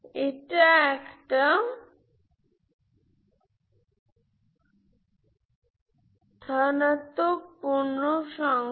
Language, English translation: Bengali, So it is a positive integer